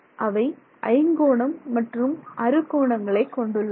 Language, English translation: Tamil, Here you have pentagons as well as hexagons